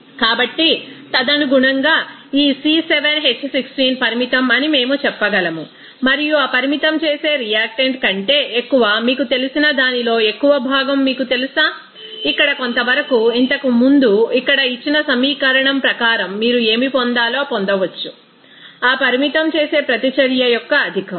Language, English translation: Telugu, So, accordingly we can say that this C7H16 is limiting and what is the you know fraction of excess of that you know excess of that limiting reactant, here as part that equation earlier given here like this accordingly you can get what should be the excess of that limiting reactant